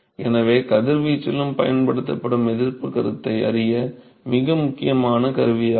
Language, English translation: Tamil, So, that is the very important tool to learn the resistance concept which was also used in radiation